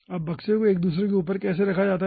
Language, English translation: Hindi, now, how the boxes are placed over each other